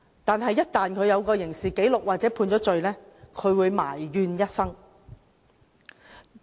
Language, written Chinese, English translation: Cantonese, 但是，一旦有刑事紀錄或被判罪，便會埋怨一生。, However they will regret it for life should they be convicted or carry a criminal record